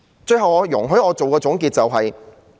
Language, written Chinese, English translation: Cantonese, 最後，容許我作總結。, Finally allow me to conclude